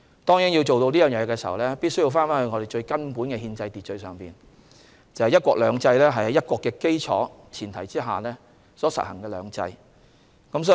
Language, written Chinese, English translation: Cantonese, 當然，要達到這個目標必須回到最根本的憲制秩序，即"一國兩制"是在"一國"的基礎和前提下所實行的"兩制"。, The success of achieving such a goal is certainly contingent upon a return to the most fundamental aspect of our constitutional order―one country two systems in which the implementation of two systems is founded and premised on one country